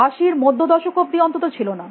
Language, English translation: Bengali, It was not a till the mid 80’s